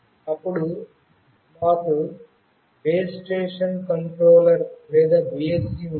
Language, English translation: Telugu, Then we have Base Station Controller or BSC